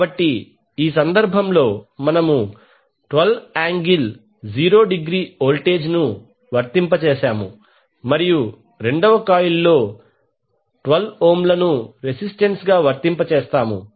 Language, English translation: Telugu, So in this case we have applied voltage that is 12 volt angle 0 and in the second coil we have applied 12 ohm as a resistance